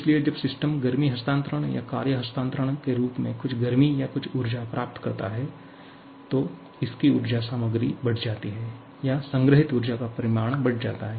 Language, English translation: Hindi, So, when system receives some heat or some energy in the form of heat transfer or work transfer, its energy content increases or the magnitude of stored energy increases